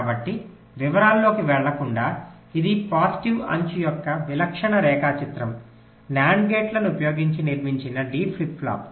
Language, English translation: Telugu, so, without going into the detail, this is a typical diagram of a positive edge triggered d flip flop constructed using nand gates